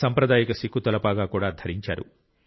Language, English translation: Telugu, He also wore the traditional Sikh turban